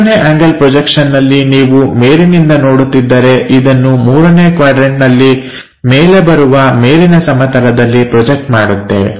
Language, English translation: Kannada, In case of 3rd angle projection, when you are looking from top, it will be projected onto that top plane in the 3rd quadrant it comes at top level